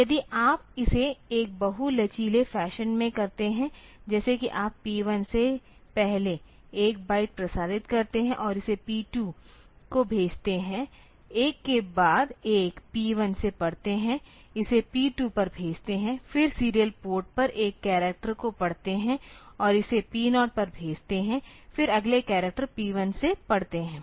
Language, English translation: Hindi, So, if you do it in a multi flexed fashion; that is you first transmit 1 byte of from P 1 and send it to P 2, read 1 by from P 1 send it to P 2, then read one character on the serial port and this send it to P 0, then again read the next character from P 1